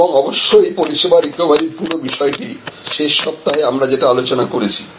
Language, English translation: Bengali, And of course, the whole issue about service recovery, that we discussed last week